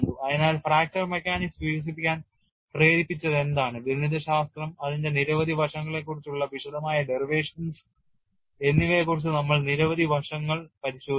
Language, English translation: Malayalam, So, we have looked at history on what prompted fracture mechanics to develop mathematics and detailed derivations on several aspects of it, we have also gone to the extent of looking at application aspects of it